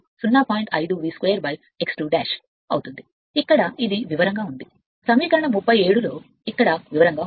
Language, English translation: Telugu, 5 V square upon x 2 dash here it is in detail c equation 37 right here it is in detail